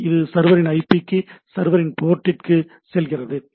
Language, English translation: Tamil, It goes to the IP of the server port of the server, right